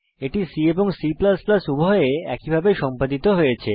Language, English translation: Bengali, It is implemented the same way in both C and C++